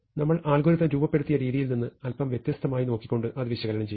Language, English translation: Malayalam, So, we will analyze it, looking at a slightly differently from the way we have formulated the algorithm